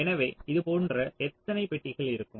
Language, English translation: Tamil, so how many of such boxes will be there